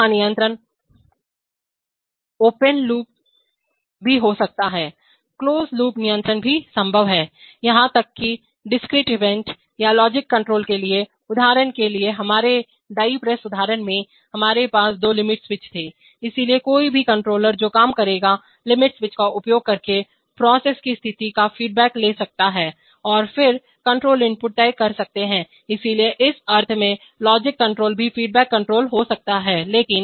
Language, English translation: Hindi, Control here also can be open loop or closed loop, closed loop control is possible even for, even for discrete event or logical control, for example in our in our die press example, we had those two limit switches, so any controller that will work can take feedback of the state of the process using the limit switches and then decide the control input, so in that sense logic control can also be feedback control right but